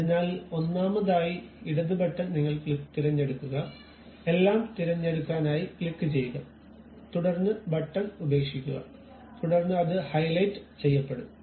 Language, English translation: Malayalam, So, first of all I have selected you use left button, click that hold select everything, then leave the button then it will be highlighted